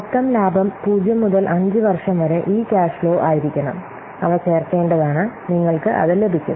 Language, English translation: Malayalam, So, the net profit it has to be all these cash flows for 0 to 5 years they have to be added and we'll get it